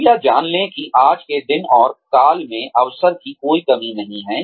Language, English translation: Hindi, Please know that, there is no dearth of opportunity, in today's day and age